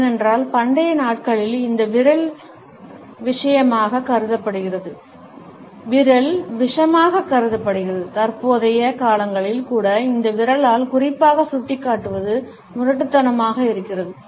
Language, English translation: Tamil, Maybe it is, because in ancient days, this forefinger was regarded as venomous and even in present times it is rude to point especially, with this finger